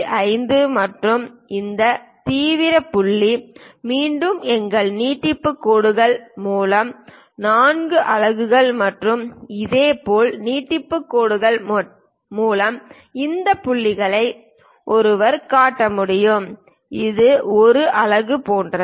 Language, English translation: Tamil, 5 and this extreme point again through our extension lines at 4 units and similarly extension lines using that this point this point one can really show it something like 1 unit